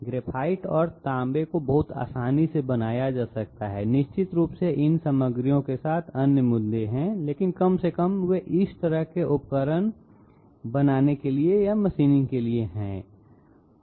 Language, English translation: Hindi, Graphite and copper can be machined very easily, of course there are other issues with these materials, but at least they are machinable without causing that kind of tool wear